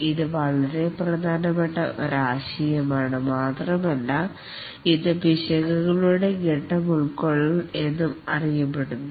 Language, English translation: Malayalam, This is a very important concept and it is known as the phase containment of errors